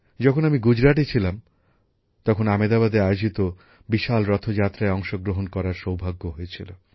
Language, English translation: Bengali, When I was in Gujarat, I used to get the opportunity to attend the great Rath Yatra in Ahmedabad